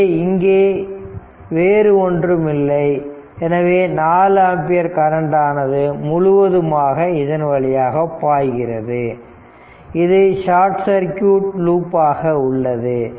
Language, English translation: Tamil, So, nothing there is nothing able here and all this 4 ampere will be flowing like this it will be in a short circuit loop right